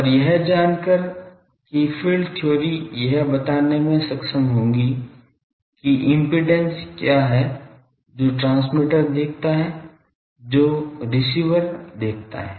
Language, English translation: Hindi, And knowing that field theory values will be able to tell what are the impedances, what are the as the transmitter sees, as the receiver sees